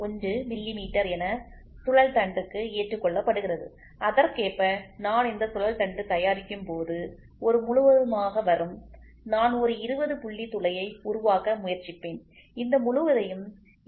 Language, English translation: Tamil, 1 millimeter is accepted for my shaft and correspondingly when I produce this shaft will get into a hole I will also try to produce a hole 20 point something where I will try to say this whole can be produced 20